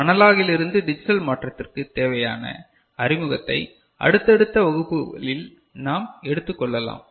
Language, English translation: Tamil, So, we shall take it up we need have a introduction to a analog to digital conversion in subsequent classes